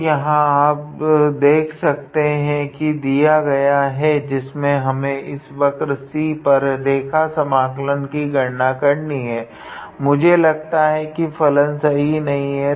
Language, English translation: Hindi, So, here you can see that for this given expression here where we had to calculate the line integral for this curve C, I guess the function incorrectly